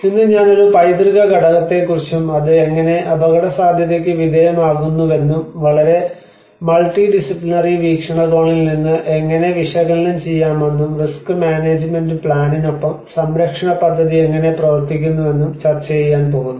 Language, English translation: Malayalam, Today, I am going to discuss about a heritage component, how it is subjected to risk and how one can analyze from a very multi disciplinary perspective and also how the conservation plan works along with the risk management plan